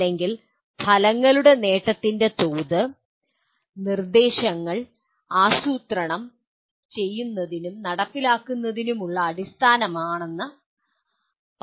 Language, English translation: Malayalam, Or saying that the level of achievement of outcome is the basis for planning and implementing instructs